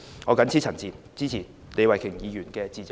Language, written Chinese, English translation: Cantonese, 我謹此陳辭，支持李慧琼議員的致謝議案。, With these remarks I support Ms Starry LEEs Motion of Thanks